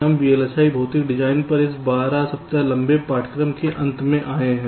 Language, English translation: Hindi, so we have at last come to the end of this twelfth week long course on vlsi physical design